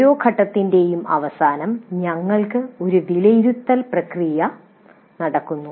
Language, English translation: Malayalam, So, at the end of every phase we do have an evaluate process taking place